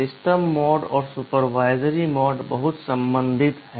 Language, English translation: Hindi, The system mode and supervisory mode are very much related